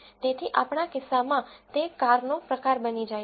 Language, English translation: Gujarati, So, in our case it become the car type